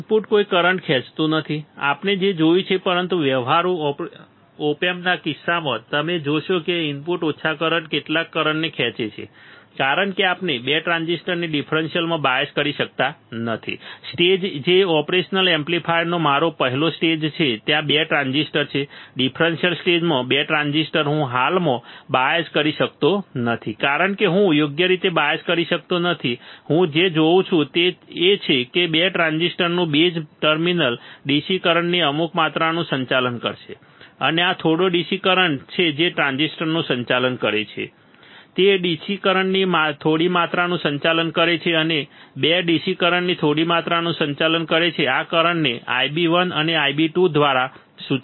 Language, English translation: Gujarati, The input draws no current right the input draws no current, we have seen that, but in case of practical op amps you will see that the input draws some amount of current that the small current is because we cannot bias the 2 transistor in the differential stage which is my first stage of the operational amplifier there are 2 transistor in differential stage the 2 transistors, I cannot bias currently because I cannot bias correctly, what I see is that the base terminal of the 2 transistors will conduct some amount of DC current and this small DC current that it conducts the transistor one is conducting small amount of DC current and 2 is conducting some small amount of DC current this current is denoted by I b 1 and I b 2, I b 1 and I b 2, all right, I b 1 and I b 2